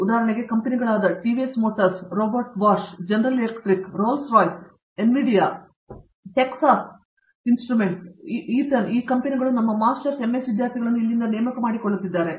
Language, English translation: Kannada, Best companies come here for selecting, for example, companies like TVS motors, Robot Bosch, General electric, Rolls Royce, Nvidia, Texas instruments, Eaton all these companies come and recruit our Masters, MS students from here